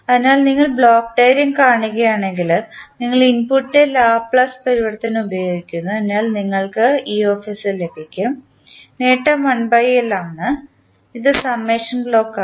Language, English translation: Malayalam, So, if you see the block diagram, you use the Laplace transform of the input, so you get es then gain is 1 by L this is the summation block